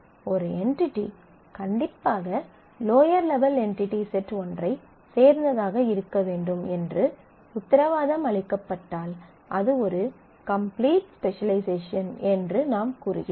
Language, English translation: Tamil, If that is guaranteed that an entity must belong to one of the lower level entity set we say that it is a complete specialization